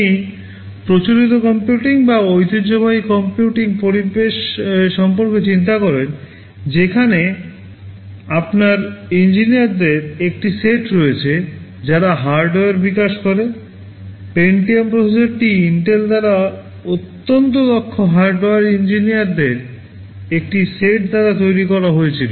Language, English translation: Bengali, You think about the conventional computing days or traditional computing environment, where you have a set of engineers, who develop the hardware, the Pentium processor is developed by Intel by a set of highly qualified hardware engineers